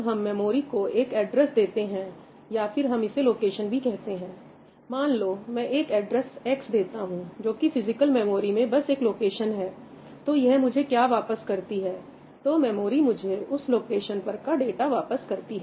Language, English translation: Hindi, The basic function is that we supply an address, or we call it a location, I supply an address X, it is just a location in this physical memory, and what it has to do is, it has to return me, the data that resides in that location